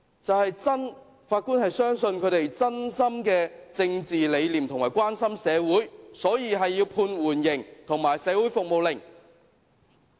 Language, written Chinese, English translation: Cantonese, 就是法官相信他們有真正的政治理念和真心關心社會，所以要判處緩刑和社會服務令。, The Judge trusted that they were acting genuinely out of their political beliefs and were sincerely concerned about society so they were given a suspended sentence and sentenced to community service